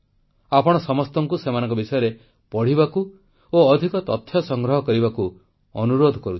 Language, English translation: Odia, I urge you to read up about them and gather more information